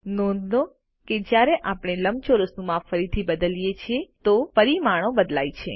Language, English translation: Gujarati, Note that when we re size the rectangle again, the dimensions change